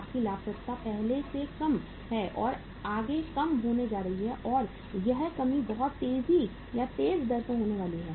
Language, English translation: Hindi, Your profitability is already low and is further going to go down and that reduction is going to be at a much faster rate